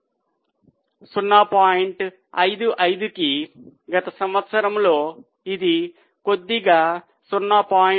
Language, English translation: Telugu, 55 and in last year it has slightly come down to 0